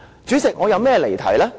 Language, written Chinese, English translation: Cantonese, 主席，我哪有離題？, President how come I have digressed from the subject?